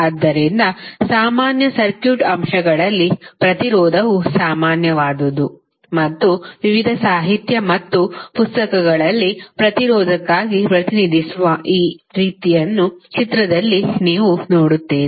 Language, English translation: Kannada, So, in common circuit elements, resistance is one of the most common and you will see that in the various literature and books, you will see this kind of figure represented for the resistance